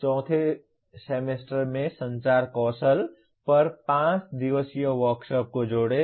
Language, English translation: Hindi, Add in the fourth semester a 5 day workshop on communication skills